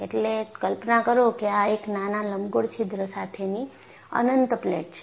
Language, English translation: Gujarati, So, imagine that this is an infinite plate with a small elliptical hole